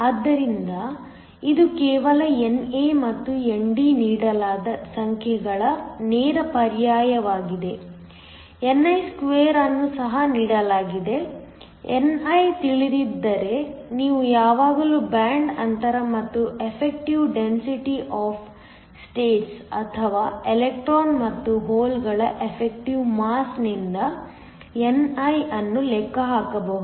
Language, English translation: Kannada, So, This is just a direct substitution of the numbers NA and ND are given, ni2 is also given, if ni is not known you can always calculate ni from the band gap and the effective density of states or the effective mass of the electrons and holes